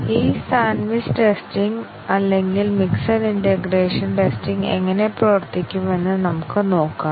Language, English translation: Malayalam, Let us look at how is this sandwiched testing or mixed integration testing would work